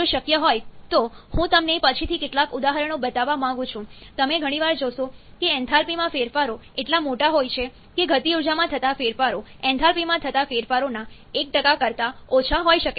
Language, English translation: Gujarati, If possible, I would like to show you some examples later on, you may often find that the changes in enthalpy is so large that the changes in kinetic energy may be well below 1% of the changes in enthalpy